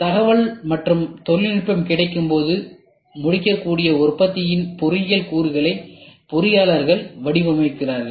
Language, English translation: Tamil, So, engineers design components of the products that can be completed as information and technology becomes available as and when you start doing it